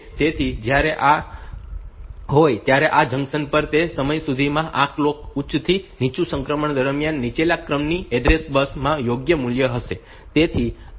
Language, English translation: Gujarati, So, at this junction; this that the transition of this clock from high to low by that time the lower order address bus will contain the correct value